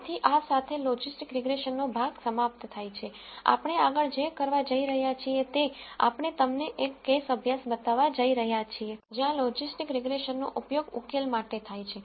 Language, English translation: Gujarati, So, with this the portion on logistic regression comes to an end what we are going to do next is we are going to show you an example case study, where logistic regression is used for a solution